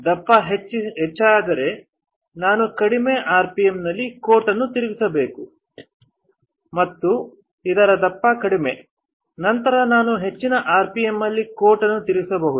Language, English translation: Kannada, If a thickness is higher then I have to spin coat at lower rpm, and if the thickness is lower, then I can spin coat at higher rpm